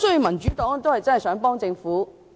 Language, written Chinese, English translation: Cantonese, 民主黨想幫助政府。, The Democratic Party wants to help the Government